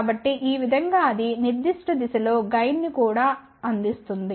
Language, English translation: Telugu, So, this way it can even provide gain in that particular direction